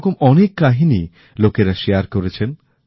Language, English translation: Bengali, Many such stories have been shared by people